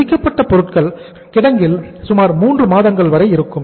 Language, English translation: Tamil, Finished goods will stay in warehouse for about 3 months